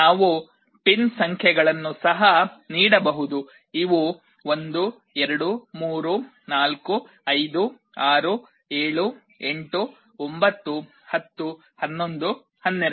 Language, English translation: Kannada, We can also give the pin numbers; these will be 1 2 3 4 5 6 7 8 9 10 11 12